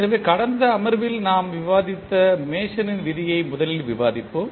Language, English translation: Tamil, So, let us discuss first the Mason’s rule which we were discussing in the last session